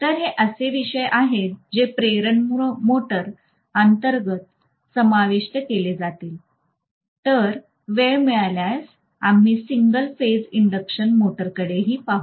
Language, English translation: Marathi, So these are the topics that will be covered under induction motor then if time permits we will also look at single phase induction motor